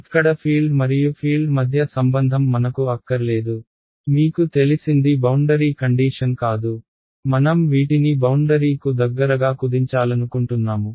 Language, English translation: Telugu, I do not want the relation between field here and field here that is all you know you it is not a boundary condition I want to shrink these guys these guys down to as close to the boundary